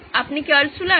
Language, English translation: Bengali, Is this Altshuller